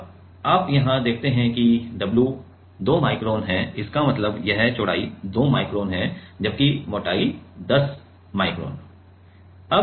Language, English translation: Hindi, Now, you see here w is 2 2 micron; that means, this thickness is 2 micron this width is 2 micron whereas, the thickness is 10 micron